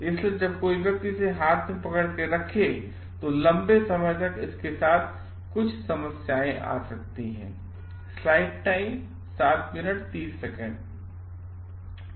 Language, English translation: Hindi, So, somebody when holds it is for long may be having certain problems with it